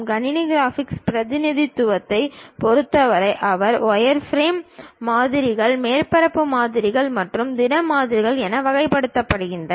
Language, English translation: Tamil, In terms of computer graphics the representation, they will be categorized as wireframe models, surface models and solid models